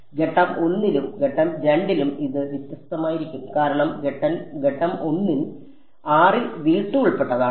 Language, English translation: Malayalam, So, it will be different in step 1 and step 2 because in step 1 r is belonging to v 2